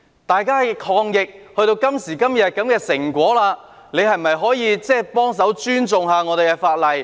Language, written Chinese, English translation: Cantonese, 大家抗疫至今，達致今天的成果，是否可以幫忙尊重一下法例？, To date our fight against the epidemic has borne fruit today . Can they help by respecting the law?